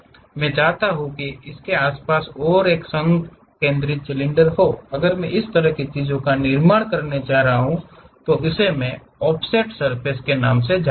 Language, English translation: Hindi, I would like to have one more concentric cylinder around that, if I am going to construct such kind of thing that is what we call this offset surfaces